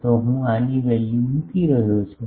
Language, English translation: Gujarati, So, I am putting the value this